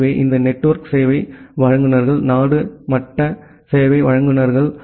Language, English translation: Tamil, So, this network service providers are the country level service providers